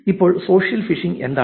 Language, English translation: Malayalam, So, what is social phishing